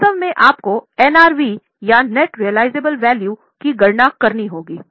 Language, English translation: Hindi, Actually you will have to calculate NRV or net realizable value